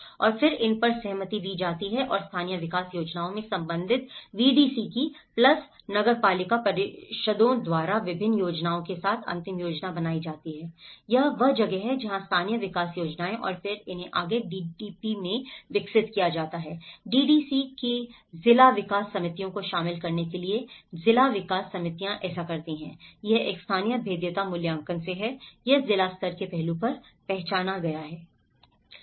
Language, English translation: Hindi, And then these are agreed and the final plans with various endorsed by the respective VDC's plus municipal councils in the local development plans, this is where the local development plans and then these are further developed into DDP’s; DDC’s; district development committees for inclusion in to do district development plans so, this is how from a local vulnerability assessments, this has been identified at the district level aspect